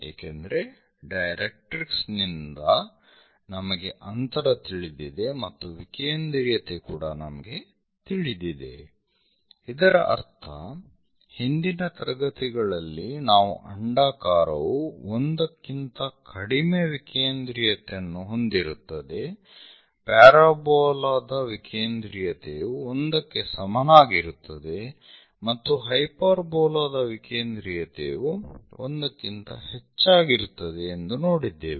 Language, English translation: Kannada, And, especially focus directrix method is quite popular: one because from directrix we know the distance and eccentricity we know; that means, in the last classes we have seen an ellipse is having eccentricity less than 1, parabola is for parabola eccentricity is equal to 1 and for hyperbola eccentricity is greater than 1